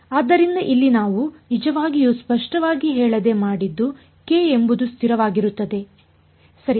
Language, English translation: Kannada, So, here what we did without really being very explicit about is that k is a constant right